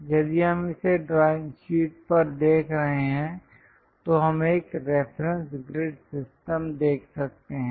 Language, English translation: Hindi, If we are looking at this on the drawing sheet we can see a reference grid system